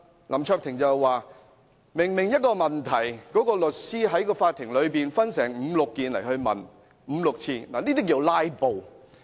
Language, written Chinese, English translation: Cantonese, 林卓廷議員則說，同一個問題律師在法庭內分五六次來問，這叫做"拉布"。, Mr LAM Cheuk - ting said that some lawyers filibuster in court by asking one same question on five or six counts